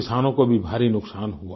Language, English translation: Hindi, Farmers also suffered heavy losses